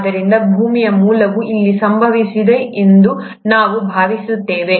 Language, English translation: Kannada, So this is where we think the origin of earth happened